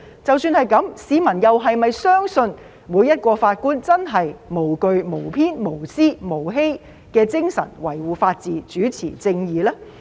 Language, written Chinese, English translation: Cantonese, 縱使如此，市民又是否相信每位法官真的以無懼、無偏、無私、無欺的精神維護法治，主持正義呢？, Even if all of them can do so do members of the public believe each and every judge will truly safeguard the rule of law and administer justice without fear or favour self - interest or deceit?